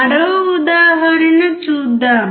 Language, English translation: Telugu, Let us see one more example